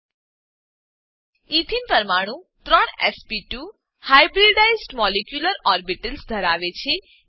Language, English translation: Gujarati, Ethene molecule has three sp2 hybridized molecular orbitals